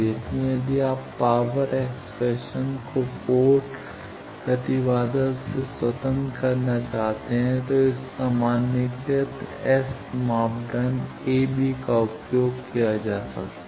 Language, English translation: Hindi, So, if you want to make power expression independent of port impedance, this generalized S parameter a b can be used